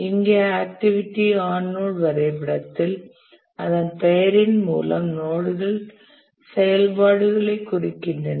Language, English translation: Tamil, And here in the activity on node diagram as the name says that the nodes represent the activities